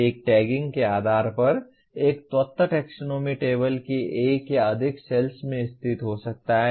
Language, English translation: Hindi, Based on the tagging an element can be located in one or more cells of the taxonomy table